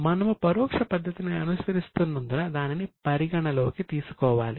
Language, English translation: Telugu, We will need to consider it because we are following indirect method